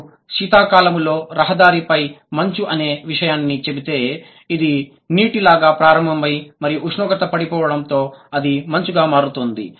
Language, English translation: Telugu, Something like if we say ice on a winter road, that is because it started out as water and when the temperature dipped it became ice